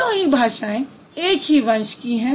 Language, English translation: Hindi, So, all the three languages, they have the same ancestor